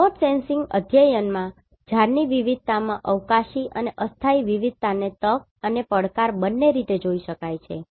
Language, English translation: Gujarati, In remote sensing studies the spatial and temporal variation in diversities of trees can be seen as both opportunity and challenge